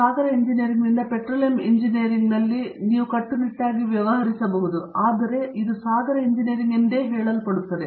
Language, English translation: Kannada, Although strictly you can deal in petroleum engineering from ocean engineering, but that is what ocean engineering is